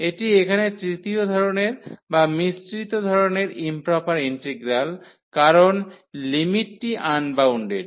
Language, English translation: Bengali, This is here the integral of third kind or the mixed kind because the limit is also unbounded